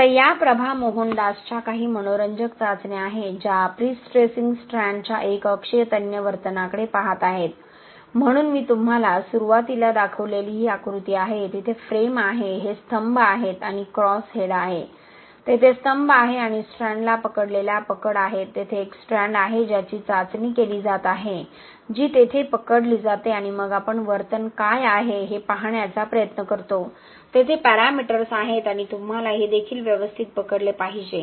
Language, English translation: Marathi, Now these are some interesting test of Prabha Mohandas who is looking at uniaxial tensile behaviour of prestressing strands, so this is the image that I showed you right in the beginning, this is the frame, these are the columns and this is the cross head okay, this is the cross head, this is the column and these are the grips holding the strand, this is the strand that is being tested, this is gripped here and gripped here and then we are trying to see what is the behaviour, these are the parameters and you have to gripped it properly also, so you see that you need some special grips otherwise the strands starts to slip and with this you will be able to get all this parts, all this aspects of the response which are important